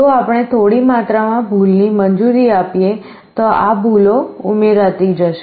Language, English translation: Gujarati, If we allow for a small amount of error, this errors will go on adding